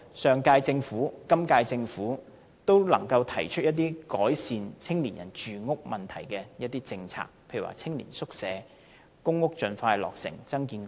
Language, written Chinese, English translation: Cantonese, 上屆和今屆政府也能夠提出改善青年人住屋問題的政策，例如青年宿舍、公屋盡快落成、增建公屋。, Both the previous and incumbent Government have been able to formulate policies dealing with the housing problem for young people such as building youth hostels expediting construction and increasing supply of public housing